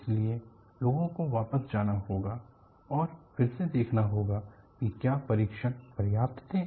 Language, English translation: Hindi, So, people have to go back and re look whether the tests were sufficient